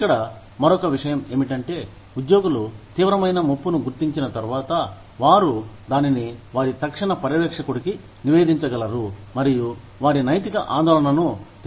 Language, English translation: Telugu, The other point here is, once employees identify a serious threat, they are able to report it to their immediate supervisor, and make their moral concern, known